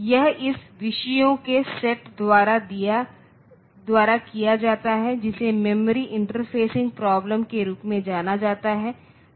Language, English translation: Hindi, So, this is done by the by the set of topic which is known as the memory interfacing problem